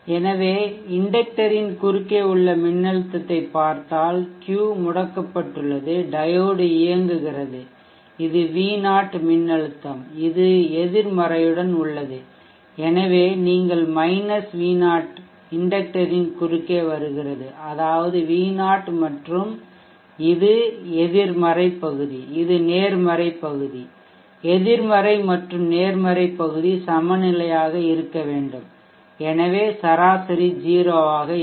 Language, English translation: Tamil, So if you look at the voltage across the inductor the inductor you see that Q is off the diode is on this is V0 voltage with this negative so you have – V0 coming across the inductor that is we V0 and this is negative portion this is the positive portion negative and positive portion should balance out so the average is 0 so during Inc for the inductor current during the on time we saw that the inter current is rising up and that was charging with a slope of VT / L it will now discharge with a slope of – V0 / l